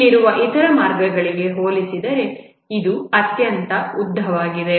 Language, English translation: Kannada, This will be the longest compared to the other paths that are present here